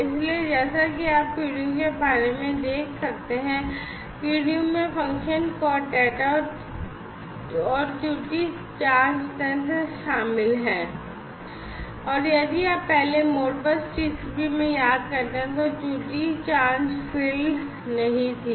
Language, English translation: Hindi, So, as you can see over here, this is this PDU, this PDU consists of the function code data, and the error checking mechanism, and this if you recall earlier in Modbus TCP this error check field was not there